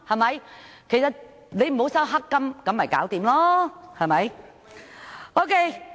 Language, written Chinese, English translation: Cantonese, 只要你沒有收取黑金便沒有問題，對嗎？, You will be fine so long as you have not accepted any black money right?